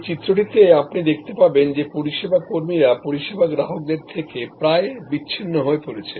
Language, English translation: Bengali, In this diagram, as you will see service employees are almost separated from service consumers